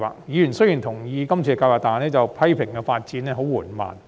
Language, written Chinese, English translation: Cantonese, 雖然委員同意今次計劃，但批評發展進度緩慢。, While Members agreed to the project they criticized the slow progress of development